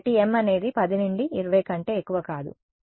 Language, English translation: Telugu, So, m is no more than 10 to 20